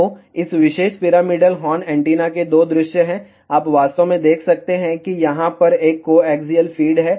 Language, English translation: Hindi, So, there are two views of this particular pyramidal horn antennas, you can actually see there is a coaxial feed over here